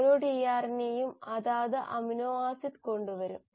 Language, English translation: Malayalam, And each tRNA will then bring in the respective amino acid